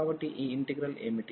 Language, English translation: Telugu, So, what is this integral